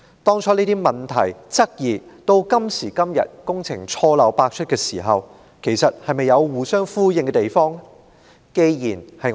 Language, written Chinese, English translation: Cantonese, 當初這些問題、質疑，與今時今日工程錯漏百出的亂象，兩者是否有互相呼應之處？, Are those problems and questions previously raised echoed in the chaos today brought forth by a project fraught with blunders?